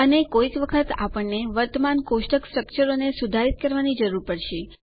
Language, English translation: Gujarati, And sometimes we will need to modify existing table structures